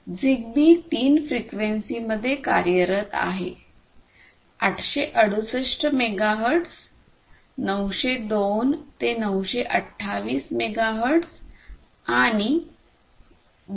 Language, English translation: Marathi, So, it operates, ZigBee operates in three frequencies 868 megahertz, 902 to 928 megahertz and 2